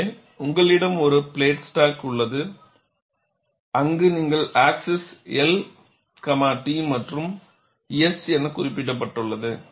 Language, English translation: Tamil, So, you have a plate stock, where you have the axis marked as L, T as well as S